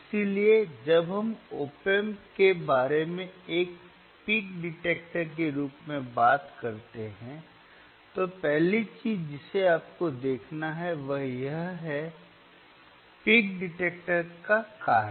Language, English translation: Hindi, So, when we talk about op amp ias a peak detector, the first thing that you have to see is the function of the peak detector